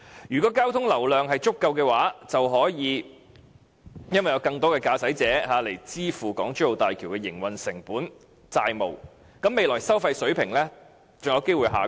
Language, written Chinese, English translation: Cantonese, 如果交通流量足夠，便可以由更多的駕駛者支付港珠澳大橋的營運成本及債務，未來收費水平便有機會下降。, If the traffic flow volume is big enough operation costs and debt repayment will be paid for by more drivers . The toll levels will have a chance to become lower in the future